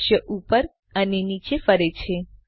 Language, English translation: Gujarati, The scene pans up and down